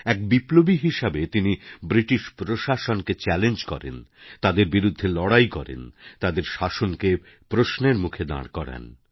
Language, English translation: Bengali, As a revolutionary, he challenged British rule, fought against them and questioned subjugation